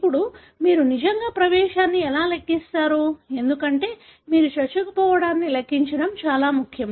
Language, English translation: Telugu, Now, how do you really calculate the penetrance, because it is very important for you to calculate penetrance